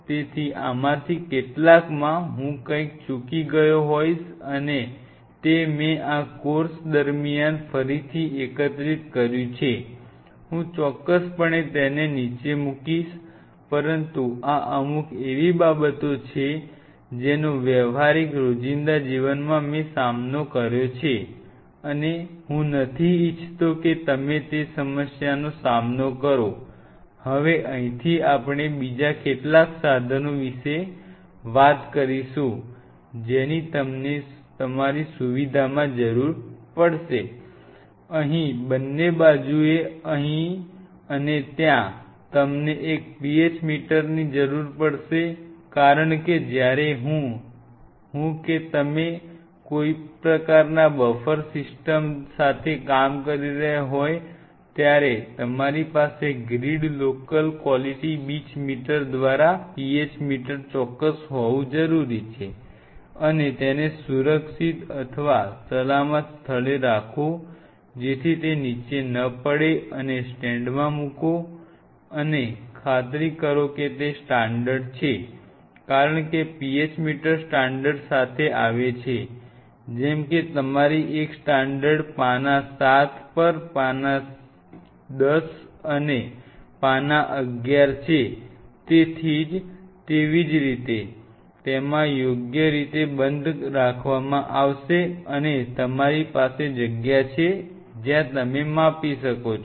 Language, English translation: Gujarati, One of the things which you will be needing in both sides here also here also will be PH meter because when I whenever you are dealing with any kind of medium any kind of buffer system, you have to have a PH meter absolute essential by a grid local quality beach meter and keep it in a safe corner or safe place very does not fall down put in a stand and ensure that its standards because PH meters comes with standards like you know 11 page on page 7 page 10 likewise you will have a standard in a they are kept properly closed and you have a kind of spot where you can measured